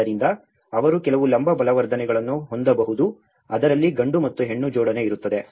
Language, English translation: Kannada, So, they can have some vertical reinforcement, there is a male and female coupling of it